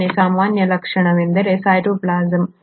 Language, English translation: Kannada, The second most common feature is the cytoplasm